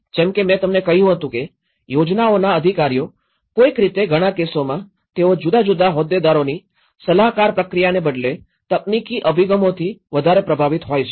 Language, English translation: Gujarati, So, as I said to you planning officials somehow in many at cases they are dominant with the technical approaches rather than a consultative process of different stakeholders